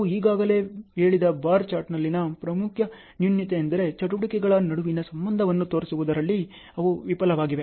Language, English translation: Kannada, The main drawback in bar chart we have already told, they fail in showing up the relationship between the activities ok